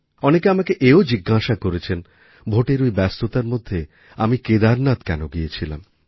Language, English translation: Bengali, Amidst hectic Election engagements, many people asked me a flurry of questions on why I had gone up to Kedarnath